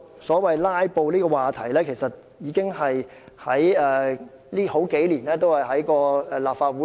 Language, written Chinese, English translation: Cantonese, 所謂"拉布"的問題，這數年間不斷纏繞立法會。, The so - called filibustering has been an issue haunting the Legislative Council for years